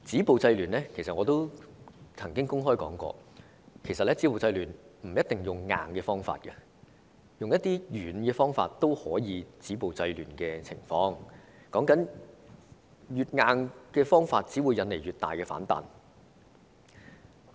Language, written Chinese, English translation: Cantonese, 我亦曾經公開指出，不一定要用強硬的方法止暴制亂，用軟的方法亦可以做到，因為越強硬的手法，只會引來越大的反彈。, I have also pointed out in public that to stop violence and curb disorder it is not necessary to apply the hard hand it can be done by using the soft approach because the tougher the method the bigger the resistance it will induce